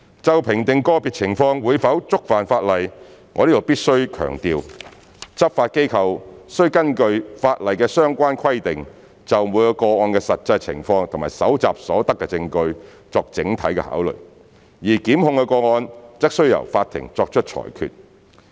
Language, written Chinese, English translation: Cantonese, 就評定個別情況會否觸犯法例，我在此必須強調，執法機構須根據法例的相關規定，就每個個案的實際情況及搜集所得的證據作整體考慮，而檢控個案則須由法庭作出裁決。, In assessing whether the law has been contravened in each and every scenario I must emphasize that the law enforcement agencies would according to the actual circumstances and evidence collected in each case make consideration as a whole in accordance with the relevant provisions of the law and it will be the court to hand down its judgment for the prosecution cases